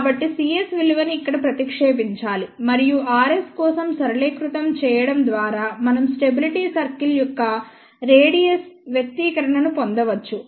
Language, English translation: Telugu, So, substituting the value of c s over here and simplifying for r s we can get the expression for the radius of the stability circle